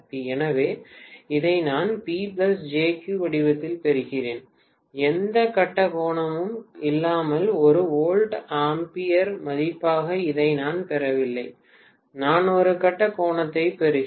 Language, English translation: Tamil, So, I am getting this in P plus JQ format I am not getting it as just a volt ampere value without any phase angle, I am getting a phase angle